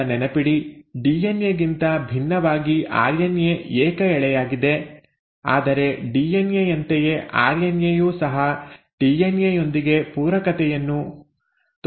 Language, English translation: Kannada, Now remember, unlike DNA, RNA is single stranded but just like DNA, RNA shows complementarity with DNA